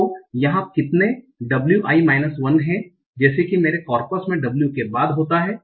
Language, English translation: Hindi, So here how many w i minus 1 are there such that w occurs after that in my coppers